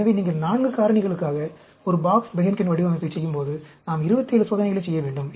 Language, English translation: Tamil, And so, when you are doing a Box Behnken Design for 4 factors, we have to do 27 experiments